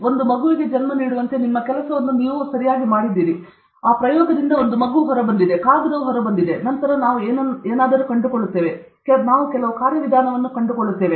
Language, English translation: Kannada, So just like a mother giving birth to a child, the most important thing is you have done your part and that baby has come out the paper has come out then we will find out something, we will find out some mechanism